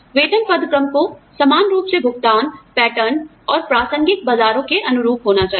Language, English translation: Hindi, Pay grades should conform, reasonably well to pay, patterns and relevant markets